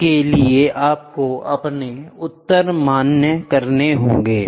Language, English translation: Hindi, For this you will have to validate your answer